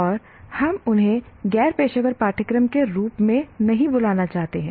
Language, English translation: Hindi, And we didn't want to call them as non professional courses